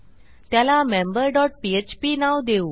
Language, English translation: Marathi, Itll be the member dot php page